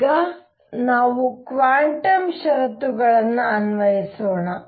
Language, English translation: Kannada, So now let us apply quantum conditions